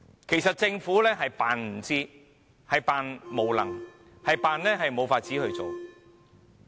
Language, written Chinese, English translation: Cantonese, 其實政府是裝作不知，裝作無能，裝作無法處理問題。, In fact the Government is pretending that it is ignorant incompetent and unable to deal with problems